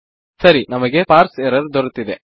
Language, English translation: Kannada, Right, weve got Parse error